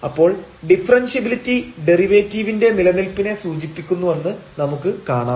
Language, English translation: Malayalam, So, the now we will see the differentiability implies the existence of the derivative at a given point